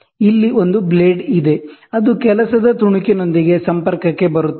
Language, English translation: Kannada, Here is a blade, which comes in contact with the work piece